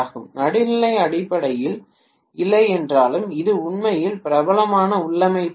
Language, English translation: Tamil, If the neutral is not grounded, it is not a really a popular configuration that is being used